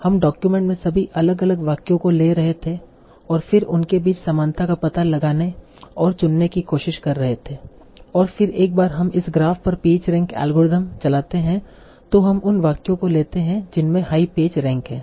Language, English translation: Hindi, So we are taking all the different sentences in the document and then finding out the similarity between them and trying to choose the and then once we run the page rank algorithm over this graph, we take the sentences that have the high page rank